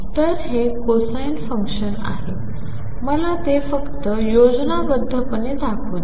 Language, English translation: Marathi, So, this is the cosine function let me just show it schematically